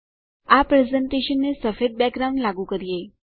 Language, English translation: Gujarati, Lets apply a white background to this presentation